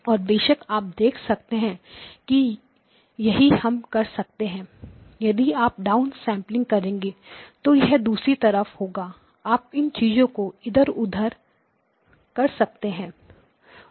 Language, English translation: Hindi, And of course you can see that we can do the same thing if you are doing the down sampling it will be on the other side; you can move these things around